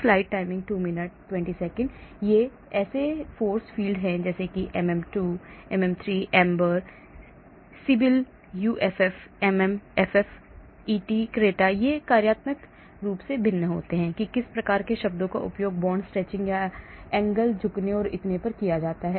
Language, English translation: Hindi, so these force fields like MM2, MM3, AMBER, Sybyl, UFF, MMFF et cetera they differ in the functional forms what type of terms are used for bond stretching or angle bending and so on